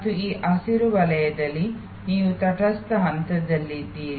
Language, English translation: Kannada, And in between in this green zone you are set of in a neutral phase